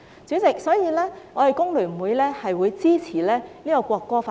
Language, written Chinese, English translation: Cantonese, 主席，所以工聯會支持《條例草案》三讀。, President FTU thus supports the Third Reading of the Bill